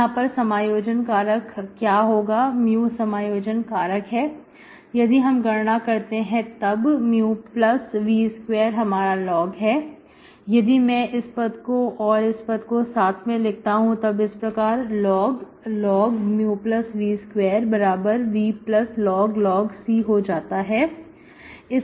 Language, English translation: Hindi, So what is the integrating factor, mu is the integrating factor, if I calculate mu plus mu plus v square is my log, if I take this term and this term together which is equal to v plus log C